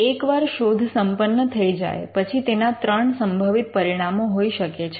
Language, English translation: Gujarati, Once a search is done, they could be 3 possible outcomes to that search